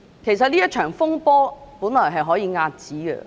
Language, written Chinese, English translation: Cantonese, 其實，這場風波原本可以遏止。, In fact this saga could have been avoided